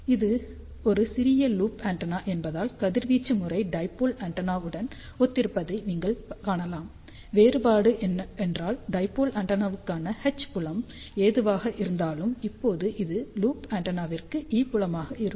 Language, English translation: Tamil, Since, it is a small loop antenna, you can see that the radiation pattern is similar to that of a dipole antenna except for the difference that whatever was the H field for the dipole antenna, now it is E field for the loop antenna